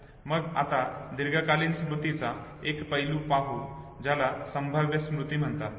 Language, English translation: Marathi, Let us now look at another aspect of long term memory what is called as prospective memory